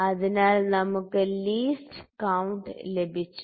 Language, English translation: Malayalam, So, we have got the least count